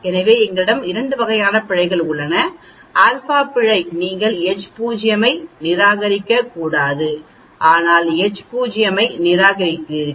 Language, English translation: Tamil, So you have 2 types of error, alpha error where you should not reject H0 but you end up rejecting H0